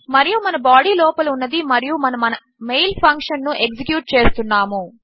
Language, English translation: Telugu, And our body in here and we are executing our mail function